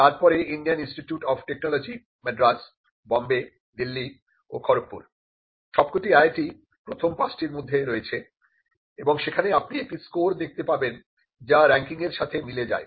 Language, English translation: Bengali, The Indian Institute of Science at the top followed by the Indian Institute of Technology, Madras, Bombay, Delhi and Kharagpur, all the IITs within the 5 and you can see there is a score and the score corresponds to the rank